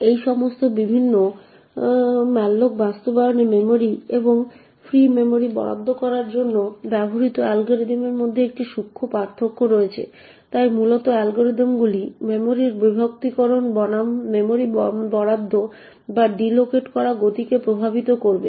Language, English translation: Bengali, In all of these different malloc implementation there is a subtle difference between the algorithm used to allocate memory and free memory as well, so essentially the algorithms will affect the speed at which memory is allocated or deallocated versus the fragmentation of the memory